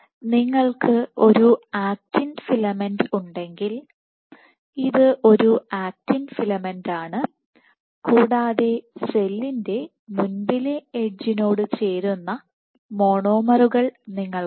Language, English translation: Malayalam, So, if you have an actin filament, this is an actin filament and you have monomers which get added to the front edge of the cell right